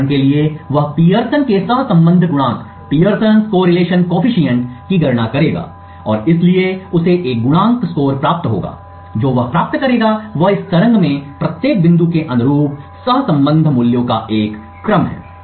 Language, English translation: Hindi, For example, he would compute the Pearson’s correlation coefficient and therefore he would get a coefficient score, does what he would obtain is a sequence of correlation values corresponding to each point in this waveform